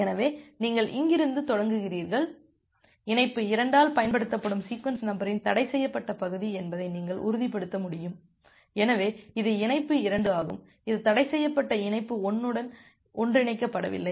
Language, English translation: Tamil, So, you will start from here and you will be able to ensure that the forbidden region of the sequence number which is been used by connection 2, so this is connection 2 that is not overlap with the forbidden region of connection 1